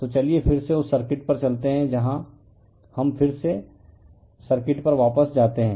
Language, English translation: Hindi, So, let us go back to that your circuit again here let us go back to the circuit again